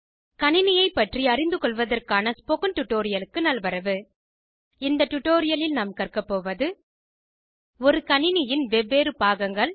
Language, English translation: Tamil, Welcome to the Spoken Tutorial on Getting to know Computers In this tutorial we will learn about the various components of a computer